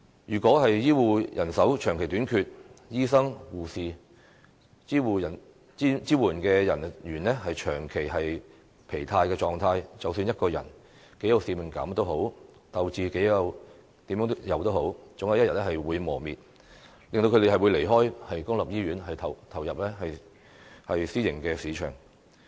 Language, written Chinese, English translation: Cantonese, 如果醫護人手長期短缺，醫生、護士、支援人員長期處於疲勞狀態，無論他們多有使命感，鬥志總有一天會磨滅，令他們離開公立醫院，轉投私營市場。, In the case of a perennial shortage of health care personnel doctors nurses and supporting staff will constantly be exhausted and regardless of how committed they are their morale will one day be eroded thus making them leave public hospitals and turn to the private sector